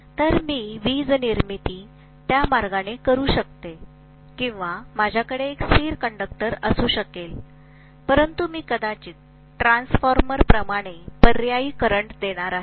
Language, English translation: Marathi, So I can do it that way to generate electricity or I can simply have a stationary conductor but I am going to probably provide with an alternating current like I do in a transformer